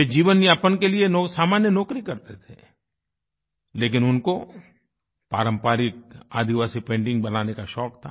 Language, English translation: Hindi, He was employed in a small job for eking out his living, but he was also fond of painting in the traditional tribal art form